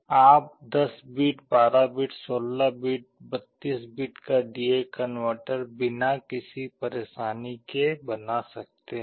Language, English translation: Hindi, You can built a 10 bit, 12 bit, 16 bit, 32 bit D/A converter without any trouble